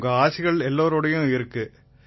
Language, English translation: Tamil, Your blessings are with everyone